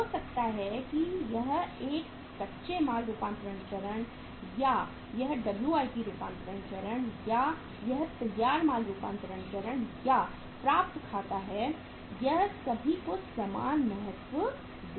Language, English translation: Hindi, Maybe it is a raw material conversion stage or whether it is the WIP conversion stage or whether it is the finished goods conversion stage or accounts receivables it gives equal importance to all